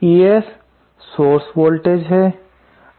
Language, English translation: Hindi, ES is the source voltage